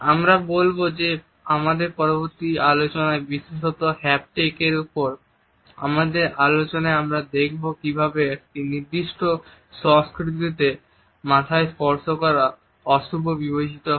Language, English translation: Bengali, As we shall see in our further discussions particularly our discussions of haptics, we would look at how in certain cultures touching over head is considered to be inauspicious